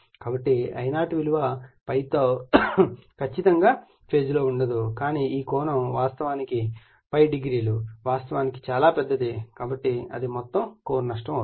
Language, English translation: Telugu, So, that is why I0 is not exactly is in phase with ∅ but this angle actually this angle I ∅0 actually quite large so, that is total core loss